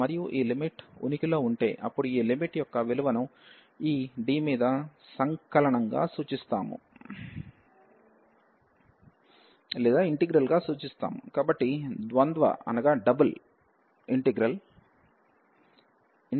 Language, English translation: Telugu, And if this limit exist, then we denote this integral this value of this limit by this integral over D, so the double integral D